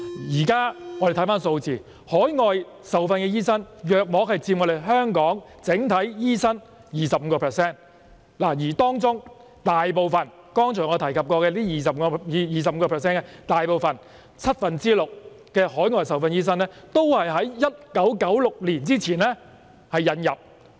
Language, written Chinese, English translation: Cantonese, 大家看看現時的有關數字，海外受訓醫生佔香港整體醫生約 25%， 而在這 25% 當中，大部分海外受訓醫生均是在1996年前引入的。, Overseas - trained doctors account for about 25 % of the total number of doctors in Hong Kong and of these 25 % of doctors a majority was recruited from overseas before 1996